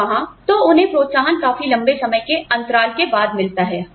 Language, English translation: Hindi, And there, so they get the incentives, after a longer period of time